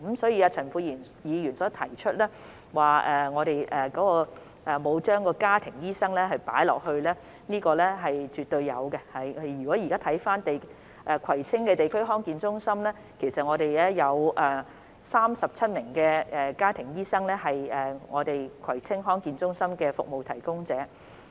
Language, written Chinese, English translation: Cantonese, 所以，陳沛然議員指我們沒有加入家庭醫生，這是絕對有的，現時葵青地區康健中心其實有37名家庭醫生，屬於該中心的服務提供者。, So Dr Pierre CHAN said we did not include family doctors but we did . In fact there are currently 37 family doctors who are service providers of the Kwai Tsing DHC